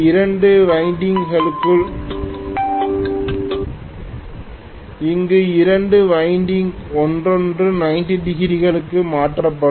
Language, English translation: Tamil, Here there will be two windings shifted from each other by 90 degrees